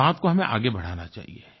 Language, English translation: Hindi, We should take this thing forward